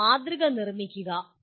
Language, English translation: Malayalam, Construct a model